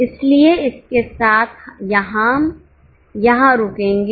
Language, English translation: Hindi, So, with this we'll stop here